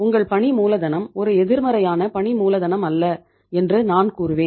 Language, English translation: Tamil, Your working capital it is not a negative working capital I would say